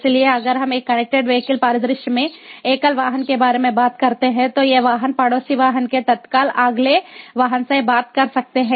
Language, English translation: Hindi, so if we talk about a single vehicle in a connected vehicle scenario, these vehicle could be talking to the immediate next vehicle, the neighbor vehicle